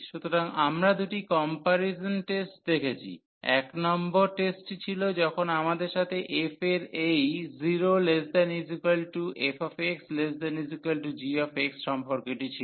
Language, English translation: Bengali, So, we have seen two comparison tests test number 1 was when we have a this relation in f that f is greater than equal to 0, and g is greater than equal to f